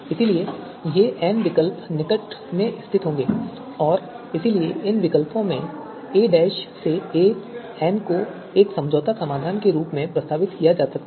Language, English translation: Hindi, So these n alternatives would be closely positioned and therefore these alternatives can be a dash to a n they can be proposed as compromise solution